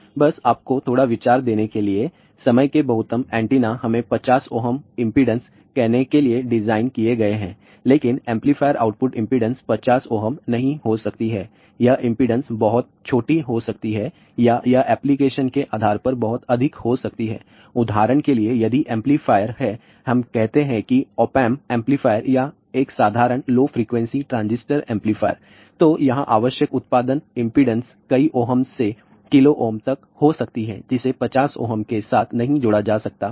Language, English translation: Hindi, Now, many books do not include this impedance matching network, but I think it is a very very important thing between antennas and amplifier ah just to give you a little bit of an idea majority of their time antennas are designed for let us say 50 ohm impedance, but the amplifier output impedance may not be 50 ohm, this impedance can be very small or it can be very high depending upon the application, for example, if this amplifier is let us say op amp amplifier or a simple low frequency transistor amplifier then the output impedance required here may be several hundreds of ohms to kilo ohm that cannot be connected with 50 ohm